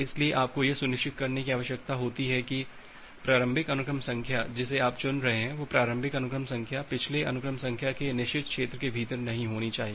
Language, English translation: Hindi, So, to do that what you need to ensure that well, the initial sequence number that you are choosing that initial sequence number should not fall within the forbidden region of the previous sequence number